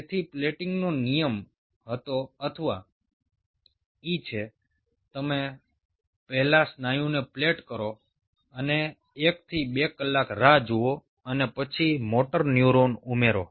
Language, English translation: Gujarati, so the plating rule was, or e is you plate the muscle first and wait for one to two hours and then add the motor neuron